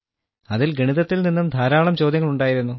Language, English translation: Malayalam, There were many maths questions in it, which had to be done in little time